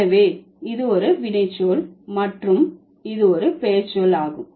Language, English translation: Tamil, So, this is a verb and this is a noun